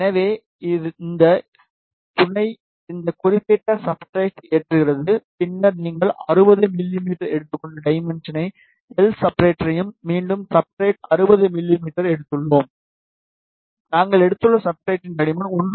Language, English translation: Tamil, So, this sub load this particular substrate, and then you give the dimension l substrate we have taken 60 mm, w substrate again we have taken 60 mm, and thickness of the substrate we have taken 1